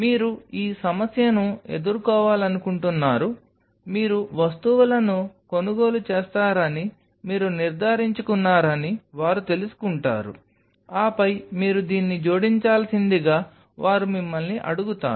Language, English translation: Telugu, So, this problem you want going to face with this they will just you know you ensure that you buy the stuff and then they will ask you have to add up this oh you have to add up this